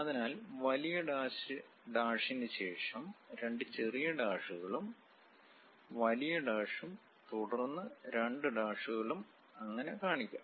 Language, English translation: Malayalam, So, long dash followed by two small dashes, long dash followed by two dashes and so on